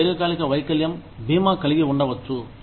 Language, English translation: Telugu, You could have a long term disability insurance